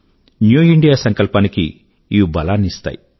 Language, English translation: Telugu, It will prove to be a milestone for New India